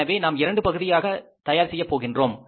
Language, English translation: Tamil, So, we will prepare in two parts